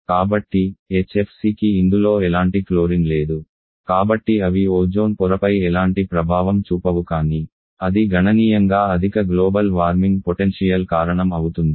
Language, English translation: Telugu, Though HFC does not have any kind of chlorine in this so they do not have any effect on the Ozone Layer but that has significantly high global warming potential